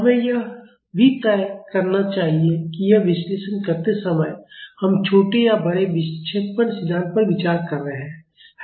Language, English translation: Hindi, We should also decide whether we are considering small or large deflection theory while doing this analysis